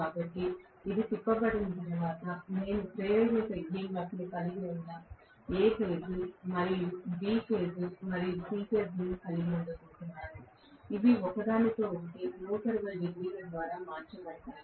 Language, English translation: Telugu, So, once this is rotated, I am going to have A phase, B phase and C phase having induced EMFs, which are time shifted from each other by 120 degrees